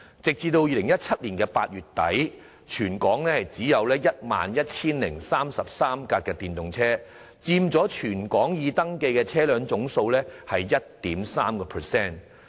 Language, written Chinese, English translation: Cantonese, 截至2017年8月底，全港只有 11,033 輛電動車，佔全港已登記車輛總數的 1.3%。, As at end of August 2017 there were only 11 033 EVs in Hong Kong accounting for 1.3 % of the total number of registered vehicles in the territory